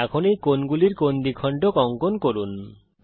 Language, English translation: Bengali, Lets now construct angle bisectors to these angles